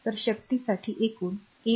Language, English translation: Marathi, So, total will be 8